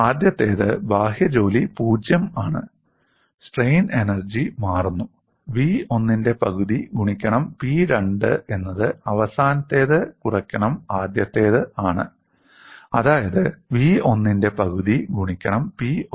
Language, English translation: Malayalam, First one is external work done is 0, strain energy changes, half of v 1 into P2 is the final one minus initial one, half of v 1 into P1 in this case, it is happening at a constant displacement